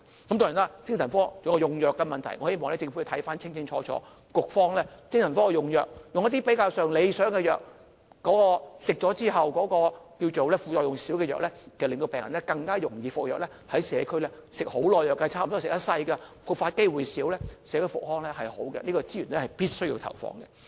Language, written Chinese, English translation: Cantonese, 當然，精神科還有用藥的問題，我希望政府看清楚精神科的用藥，局方可以用一些比較理想的藥，即副作用較少的藥，令病人更願意服藥，社區上有些精神科病人需要長期服藥，差不多一生服藥，復發機會減少，對社區復康有好處，這個資源必須投放。, I hope that the Government could look into the medication of the psychiatric service and that HA will use better drugs with fewer side effects so that patients are more willing to take medication . Some mental patients in the community have to take medication for a long period of time almost for the rest of their life . If they take medication the risk of relapse will be lowered which is beneficial to community - based rehabilitation